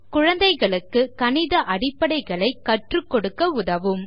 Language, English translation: Tamil, Helps teach kids basics of mathematics